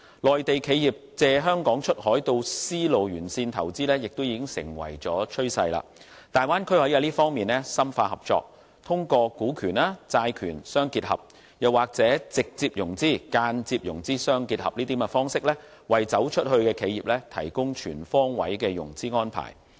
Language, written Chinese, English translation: Cantonese, 內地企業借香港出海到絲路沿線投資亦已成為趨勢，大灣區可在這方面深化合作，通過股權、債權相結合，又或直接融資、間接融資相結合等方式，為"走出去"的企業提供全方位的融資安排。, How to secure a good financing arrangement will be the key . It has been a common practice for Mainland enterprises to make use of Hong Kong to get hold of silk road investment opportunities by sea and the Bay Area can deepen cooperation in this regard by combining equity financing and debt financing or by combining direct and indirect financing so as to provide an all - round financing arrangement for enterprises that have gone global